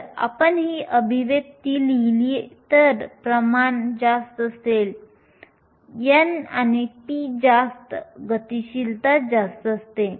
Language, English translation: Marathi, If you look at this expression, higher the concentration, so, higher n and p, your mobility is higher